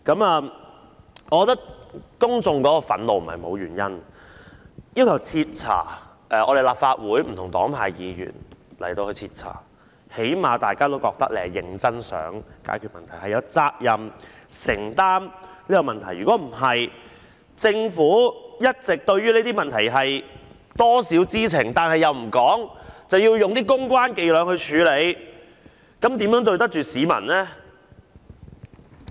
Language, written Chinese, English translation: Cantonese, 我覺得公眾憤怒並非沒有原因，由立法會不同黨派議員徹查事件，最低限度大家也覺得政府是認真想解決問題和承擔責任，但政府一直對於這些問題或多或少知情，但又不說出來，更用公關伎倆處理，這樣如何對得起市民呢？, I think it is not without reason that the public are enraged . If a thorough investigation can be conducted by Members from various political parties and groupings in the Legislative Council at least the public will have the feeling that the Government seriously wishes to resolve the problems and to assume responsibilities . But while the Government was in one way or another aware of these problems it did not reveal them and worse still it adopted public relations tactics to deal with them